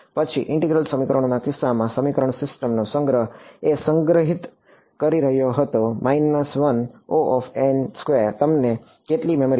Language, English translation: Gujarati, Then the storage of the system of equations in the case of integral equations was storing a n by n system you need how much memory